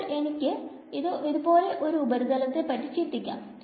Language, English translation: Malayalam, So, I can think of a surface like this